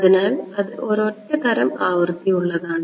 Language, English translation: Malayalam, So, single frequency kind of a thing